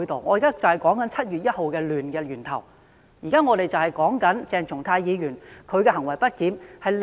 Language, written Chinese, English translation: Cantonese, 我現在就是在說明7月1日動亂的源頭，就是說鄭松泰議員的行為不檢。, I am now explaining the origin of the turmoil on 1 July and which was Dr CHENG Chung - tais misbehaviour